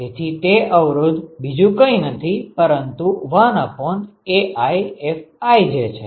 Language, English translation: Gujarati, So, this resistance is nothing but 1 by AiFij